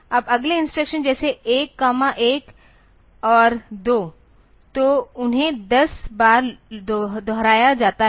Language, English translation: Hindi, Now the next instructions like 1, 1 and 2; so, they are repeated 10 times